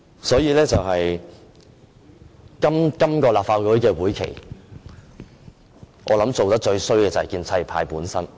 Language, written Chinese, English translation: Cantonese, 所以，今個立法會會期，我想做得最差的便是建制派本身。, Therefore I believe the pro - establishment camp have acquitted themselves most badly in this legislative session